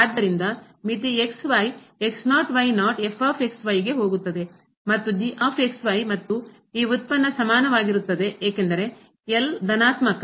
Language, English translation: Kannada, So, limit goes to and and this product will be equal to because this is positive